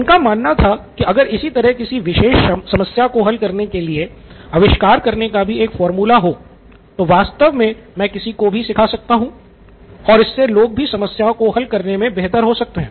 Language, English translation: Hindi, The same way if I knew a formula to invent, to solve a particular problem I could actually teach anybody and they could actually get faster with this get better at problem solving as well